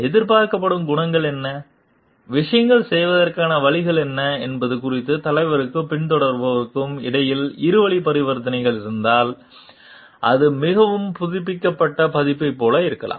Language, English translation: Tamil, If there is a two way transaction between the leader and the follower regarding what are the expected qualities and what are the ways of doing things then that can be like more updated version